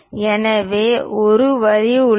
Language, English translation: Tamil, So, there is a line